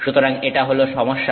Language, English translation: Bengali, So, that is the thing